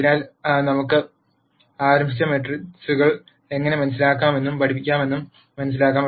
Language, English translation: Malayalam, So, let us start and then try and understand how we can understand and study matrices